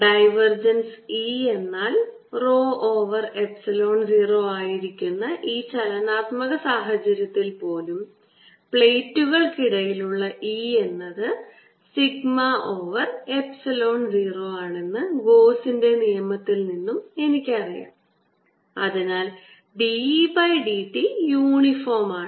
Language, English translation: Malayalam, i also know from gauss's law, which is true even in this dynamic situation, rho over epsilon zero, that e is going to be equal to sigma over epsilon zero between the plates and therefore d e d t is uniform